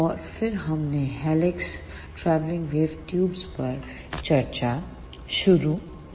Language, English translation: Hindi, And then we started discussion on helix travelling wave tubes